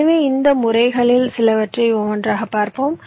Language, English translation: Tamil, ok, so let us look at some of these methods one by one